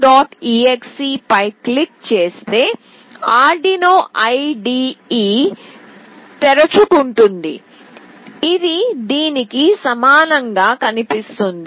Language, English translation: Telugu, exe, then the arduino IDE will open that looks similar to this